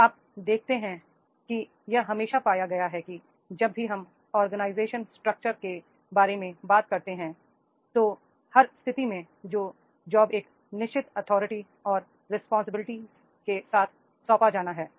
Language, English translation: Hindi, Now you see always it has been found that is the whenever we talk about the organization structure the every position that is job, their job and position that has to be assigned with the certain authority and the responsibilities are there